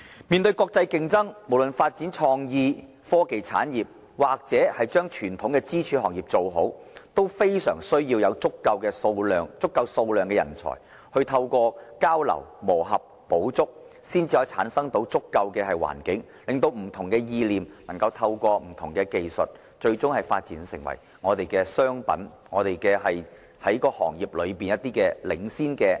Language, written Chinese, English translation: Cantonese, 面對國際競爭，無論發展創意、科技產業或傳統支柱行業，均非常需要有足夠數量的人才，透過交流、磨合、補足，才能夠產生足夠的環境，令不同意念能夠透過不同技術，最終發展成為商品，在行業內佔據領先地位。, In the face of international competition we must have sufficient talents for developing creative and technology industries as well as the traditional pillar industries . Through exchanges integration and complementarity a favourable environment is created to enable the transfer of ideas into products with the support of technology thereby Hong Kong can take the lead in the industries